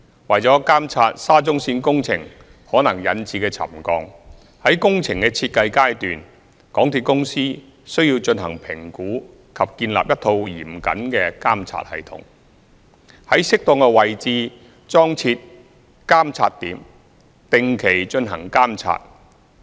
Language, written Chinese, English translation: Cantonese, 為監察沙中線工程可能引致的沉降，在工程的設計階段，香港鐵路有限公司需要進行評估及建立一套嚴謹的監察系統，在適當的位置裝設監測點，定期進行監察。, To monitor the settlement potentially caused by the SCL works the MTR Corporation Limited MTRCL needs to carry out assessment and establish a stringent monitoring system at the design stage of the project before installing monitoring points at suitable locations and conducting regular monitoring